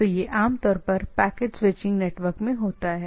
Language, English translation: Hindi, So, these are typically in case of a packet switching network